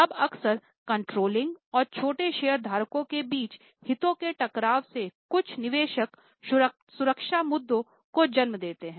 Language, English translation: Hindi, Now often conflict of interest between controlling and small shareholders lead to certain investor protection issues